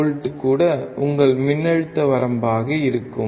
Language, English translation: Tamil, 5 will be your voltage range